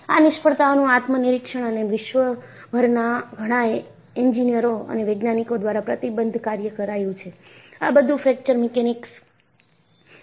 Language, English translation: Gujarati, So, introspection to these failures and committed work by several engineers and scientists across the world, led to the development of Fracture Mechanics